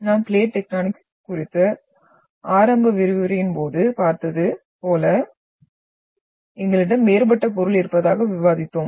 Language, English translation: Tamil, So this we discussed on that day, during the initial lecture on plate tectonics that we have the different material